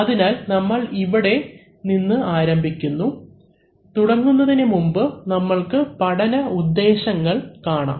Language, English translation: Malayalam, So, we begin here, before we begin we look at the instructional objectives